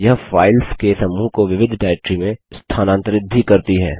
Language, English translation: Hindi, It also moves a group of files to a different directory